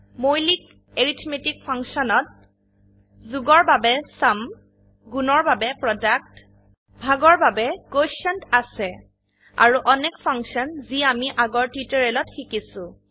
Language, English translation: Assamese, Basic arithmetic functions include SUM for addition, PRODUCT for multiplication, QUOTIENT for division and many more which we have already learnt in the earlier tutorials